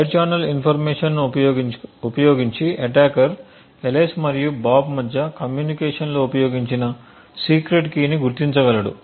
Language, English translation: Telugu, Using the side channel information the attacker would be able to identify the secret key that was used in the communication between Alice and Bob